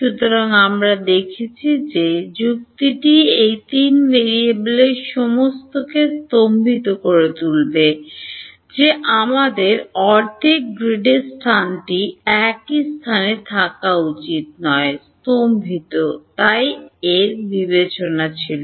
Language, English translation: Bengali, So, we have seen that the logic has been to stagger all of these 3 variables by how much half a grid we should not all be at the same point in space they should be staggered; that was one consideration